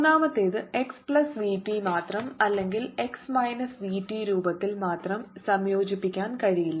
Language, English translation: Malayalam, third, one cannot be combined in the form of x plus v t alone or x minus v t alone